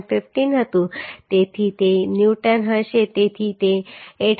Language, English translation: Gujarati, 15 so it will be newton so it is coming 800